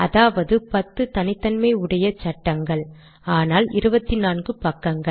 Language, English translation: Tamil, There are only 10 unique frames but there are 24 pages